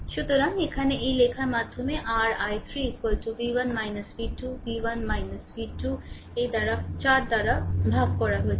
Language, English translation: Bengali, So, here I am writing your i 3 is equal to v 1 minus v 2 v 1 minus v 2 divided by this 4 right